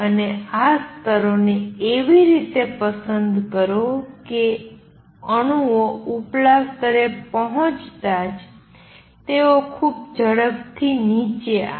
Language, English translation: Gujarati, And choose these levels in such a way that as soon as the atoms reach the upper level, they come down very fast